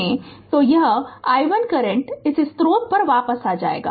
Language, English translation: Hindi, So, finally, this i 1 current will return to the this source right